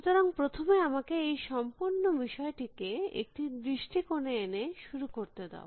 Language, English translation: Bengali, So, let me begin by first putting this whole thing into perspective